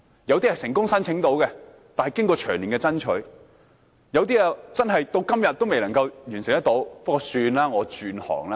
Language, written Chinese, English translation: Cantonese, 有些人能夠成功申請，但需經過長年的爭取；而有些至今仍未能夠完成申請，他們只好說：算了，我轉行吧。, Some were successful in their applications but only after years of pursuit . But many others are still awaiting the outcomes of their applications so they have no alternative but to say Okay I quit the trade